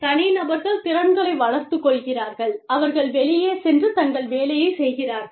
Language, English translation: Tamil, Individuals, develop the skills, and they go out, and they get the job, done